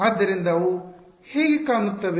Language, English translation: Kannada, So, what do they look like